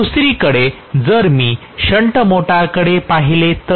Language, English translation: Marathi, On the other hand if I look at a shunt motor